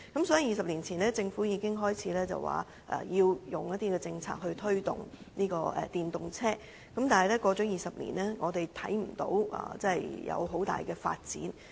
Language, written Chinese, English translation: Cantonese, 所以，政府早在20年前便開始提出政策推動電動車，但20年過去，我們卻看不到有甚麼重大發展。, Hence as early as 20 years ago the Government started to launch policies to promote EVs . However 20 years have gone and we do not see any major progress in this regard